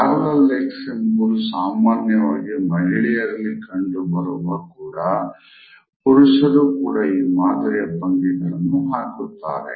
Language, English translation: Kannada, Parallel legs is something which is normally seen in women, but it is also same in men also